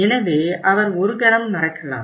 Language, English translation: Tamil, So he will forget for a moment